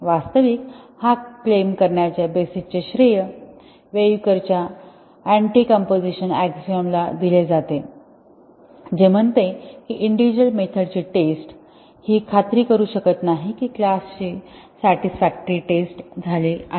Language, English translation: Marathi, Actually, the basis of making this claim is attributed to the Weyukar’s Anticomposition axiom, which says any amount of testing of individual methods cannot ensure that a class has been satisfactorily tested